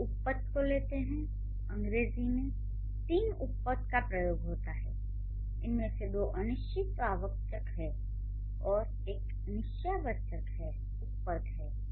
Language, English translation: Hindi, When we say articles, articles in English we have only three articles, two of them are indefinite and one is a definite article